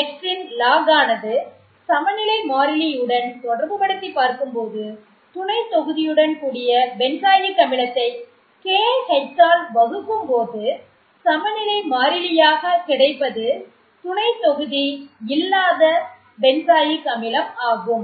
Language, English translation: Tamil, So, log of K X where K corresponds to equilibrium constant for substituted benzoic acid and you divide that by K H which corresponds to equilibrium constant for unsubstituted benzoic acid